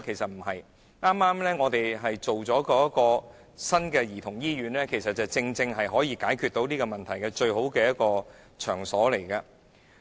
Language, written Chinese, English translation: Cantonese, 政府正在興建新的兒童醫院，這正是可以解決這項問題的最佳場所。, The Government is building a new childrens hospital and this is precisely the best place for solving this problem